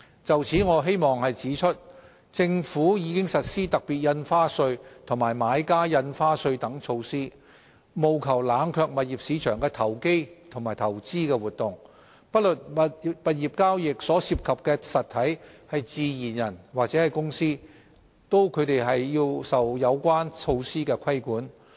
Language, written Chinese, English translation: Cantonese, 就此，我希望指出，政府已實施特別印花稅及買家印花稅等措施，務求冷卻物業市場的投機及投資活動；不論物業交易所涉及的實體是自然人或公司，均受有關措施規管。, In this connection I would like to point out that the Government has implemented measures such as the Special Stamp Duty and Buyers Stamp Duty to cool down speculative and investment activities in the property market regardless of whether the entities involved in the property transactions are natural persons or companies